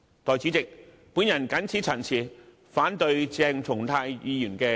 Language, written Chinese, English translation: Cantonese, 代理主席，我謹此陳辭，反對鄭松泰議員的議案。, Deputy President with these remarks I oppose Dr CHENG Chung - tais motion